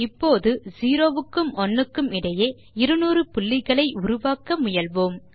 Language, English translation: Tamil, Now lets try to generate 200 points between 0 and 1